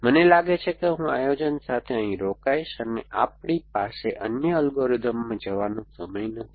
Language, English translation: Gujarati, So, I think I will stop here with planning we do not have time to go into the other algorithms